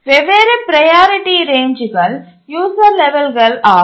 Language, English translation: Tamil, The different priority ranges are the user levels